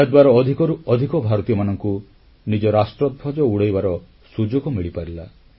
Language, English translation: Odia, This provided a chance to more and more of our countrymen to unfurl our national flag